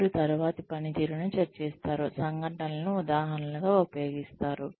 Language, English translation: Telugu, They discuss the latter's performance, using the incidents as examples